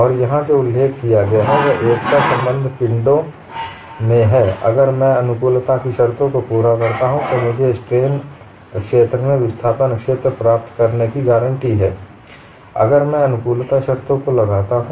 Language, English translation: Hindi, And what is mentioned here is in simply connected bodies, if I satisfy the compatibility conditions, I am guaranteed to get the displacement field from the strain field; if I invoke the compatibility conditions